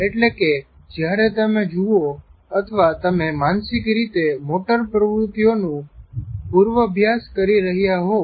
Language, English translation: Gujarati, That is when you see or otherwise you are mentally rehearsing the of the motor